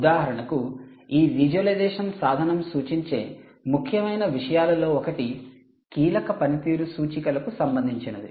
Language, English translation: Telugu, one of the important things actually this refers this visualisation tool is supposed to do is to talk about key performance indicators